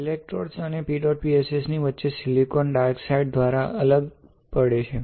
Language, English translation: Gujarati, So, electrode and PEDOT PSS are separated by silicon dioxide in between